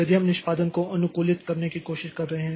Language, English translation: Hindi, So, if we are trying to optimize the performance